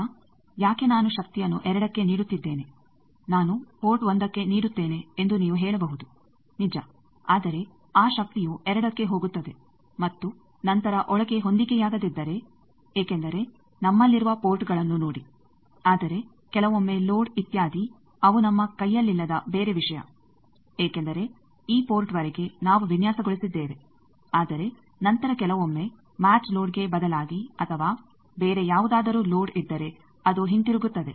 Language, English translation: Kannada, Now, you can say why I will give power at 2 I am giving at port 1 true, but that power is going to 2 and then if there is a mismatch inside because see ports we have but sometimes if the load etcetera they are some other thing which is not in our hand because up to this port we have designed, but after that sometimes if some instead of match loader or something if they is some other load then it will come back